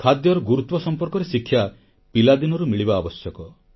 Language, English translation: Odia, The education regarding importance of food is essential right from childhood